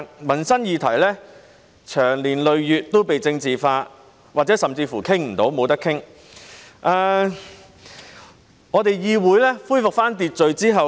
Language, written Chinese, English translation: Cantonese, 民生議題長年累月都被政治化，這甚或導致一些議題未能獲得討論。, With livelihood issues having been politicized for long some of them have even been left undiscussed as a result